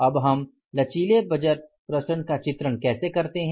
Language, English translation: Hindi, Now, how we depict the flexible budget variances